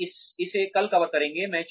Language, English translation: Hindi, We will cover this tomorrow